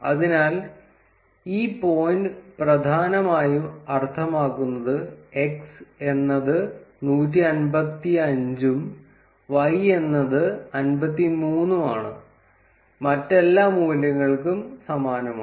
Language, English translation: Malayalam, So, this point essentially means that x is 155, and y is 53, similarly for all other values